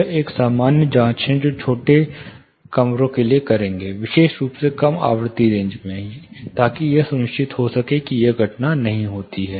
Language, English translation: Hindi, This is one common check which people will do for smaller rooms like I said, especially low frequency ranges, in order they are ensure this phenomena does not happened